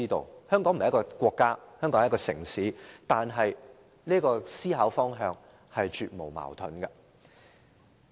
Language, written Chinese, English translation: Cantonese, 雖然香港並非一個國家，只是一個城市，但這思考方向是絕無矛盾的。, While Hong Kong is a city rather than a country this mentality is definitely without any contradiction